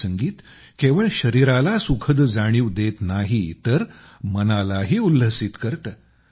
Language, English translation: Marathi, This music relaxes not only the body, but also gives joy to the mind